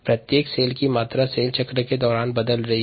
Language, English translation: Hindi, each ah, each cells volume is changing during the cell cycle